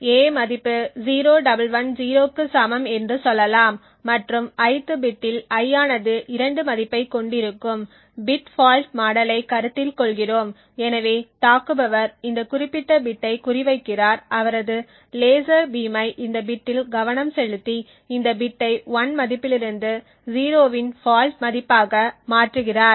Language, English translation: Tamil, Let us say that the value of a is equal to say 0110 and the ith bit we will take i to be having a value of 2 so we considering the bit fault model and therefore the attacker targets this specific bit for example he would focus his laser beam on this bit and change this bit from a value of 1 to a faulty value of 0